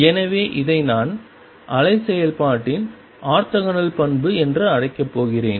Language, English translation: Tamil, So, this is what I am going to call the orthogonal property of wave function